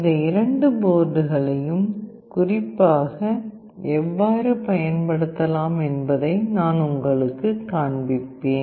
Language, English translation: Tamil, And I will also show you how you can program using these two boards specifically